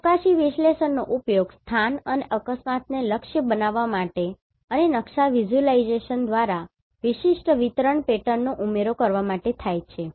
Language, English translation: Gujarati, Spatial analysis is used to target the location and accident and access particular distribution pattern through map visualization